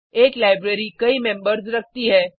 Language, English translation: Hindi, A library has many members